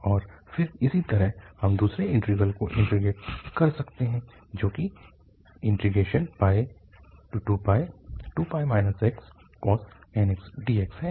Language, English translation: Hindi, And then similarly, we can integrate the second integral which is 2pi minus x cos nx dx